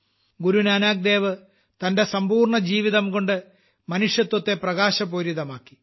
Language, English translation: Malayalam, Throughout his life, Guru Nanak Dev Ji spread light for the sake of humanity